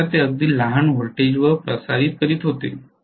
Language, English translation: Marathi, Especially they were transmitting at very small voltages